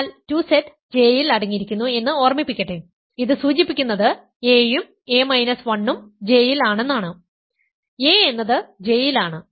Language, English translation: Malayalam, So, a is in; but 2Z remember is contained in J this implies, a is in J and a minus 1 is in J, a is in J by hypothesis a minus 1 is in J because a minus 1 is an even integer